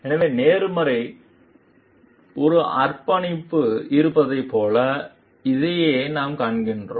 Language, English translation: Tamil, So, this very we find like we have a commitment to fairness